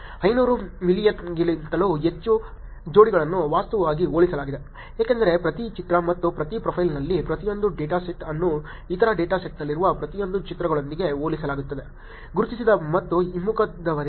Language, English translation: Kannada, More than 500 million pairs were actually compared, because if each picture and each of the profile, each of the data set were compared with each of the pictures in the other data set, from the un identified to the identified and the reverse also